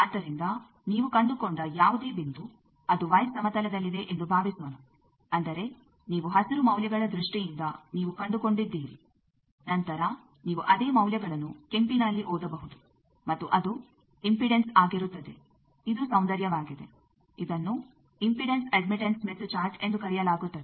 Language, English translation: Kannada, So any point you have located let us say in y plane that means, you have located in terms of green values then the same you can read in terms of red and that will be the impedance that is the beauty this is called impedance admittance smith chart